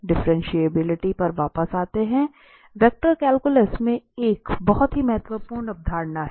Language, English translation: Hindi, Coming back to the differentiability, a very important concept in vector calculus